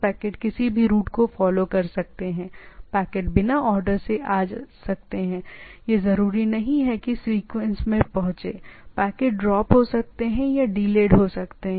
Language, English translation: Hindi, Packets may arrive out of order, it should not arrive, it not necessarily arrive in sequence, packet may get lost or delayed